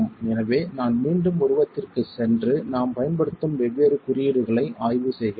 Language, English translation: Tamil, So let me just go back to the figure and examine the different notations that we are using